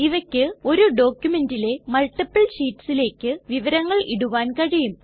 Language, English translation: Malayalam, These can input information into multiple sheets of the same document